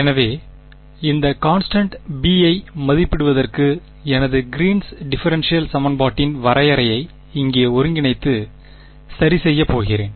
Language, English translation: Tamil, So, to evaluate this constant b, I am going to take my definition of my Green’s differential equation over here and do an integral ok